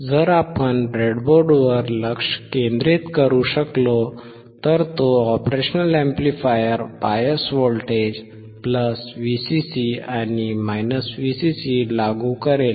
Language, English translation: Marathi, If we can focus on the breadboard, he will be applying a bias voltage +VCC and VCC to the operational amplifier